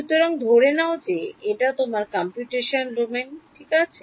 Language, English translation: Bengali, So, supposing this is your computational domain right